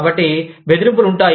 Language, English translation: Telugu, So, there are threats